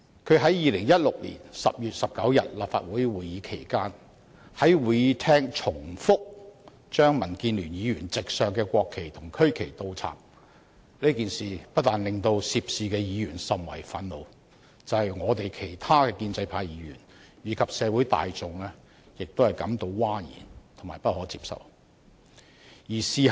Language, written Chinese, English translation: Cantonese, 他在2016年10月19日立法會會議期間，在會議廳再三倒插民主建港協進聯盟議員席上的國旗和區旗，這件事不但令涉事議員甚為憤怒，連其他建制派議員和社會大眾也感到譁然和不可接受。, At the Council meeting on 19 October 2016 he had more than once inverted the national flags and regional flags displayed at the seats of Members of the Democratic Alliance for the Betterment and Progress of Hong Kong DAB . This incident did not only infuriate the Members involved but also induced an outrage among other Members of the pro - establishment camp as well as the general public who considered this unacceptable